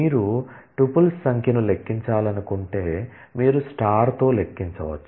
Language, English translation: Telugu, If you just want to count the number of tuples you can do count on star